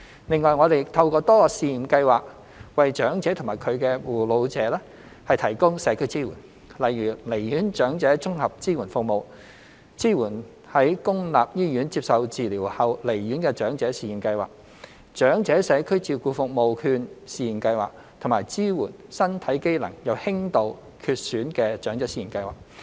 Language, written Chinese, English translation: Cantonese, 另外，我們透過多個試驗計劃為長者及其護老者提供社區支援，例如離院長者綜合支援計劃、支援在公立醫院接受治療後離院的長者試驗計劃、長者社區照顧服務券試驗計劃及支援身體機能有輕度缺損的長者試驗計劃。, Apart from these a number of pilot schemes such as the Integrated Discharge Support Programme for Elderly Patients the Pilot Scheme on Support for Elderly Persons Discharged from Public Hospitals after Treatment the Pilot Scheme on Community Care Service Voucher for the Elderly and the Pilot Scheme on Home Care and Support for Elderly Persons with Mild Impairment are also in place to provide community support for elderly persons and their carers